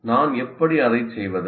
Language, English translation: Tamil, How do I do it